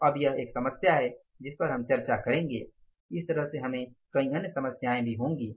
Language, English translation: Hindi, So, now this is the one problem which we will discuss like this we will have so many other problems also